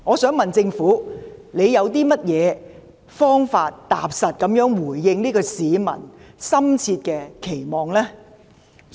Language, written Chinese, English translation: Cantonese, 請問政府有何方法，踏實回應市民的深切期望呢？, May I ask what measures have been put in place by the Government as a practical response to peoples keen expectation?